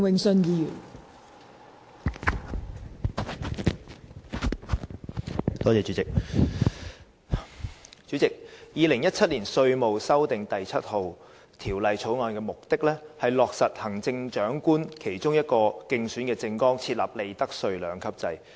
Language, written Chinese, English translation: Cantonese, 代理主席，《2017年稅務條例草案》的目的，是落實行政長官在其競選政綱中提出的利得稅兩級制。, Deputy President I oppose the Inland Revenue Amendment No . 7 Bill 2017 the Bill . The Bill seeks to change the profits tax regime long established in Hong Kong by introducing the so - called two - tiered profits tax rates regime